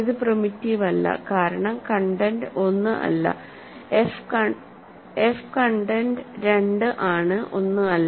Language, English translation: Malayalam, This is not primitive because the content is not 1, content of f is 2 not 1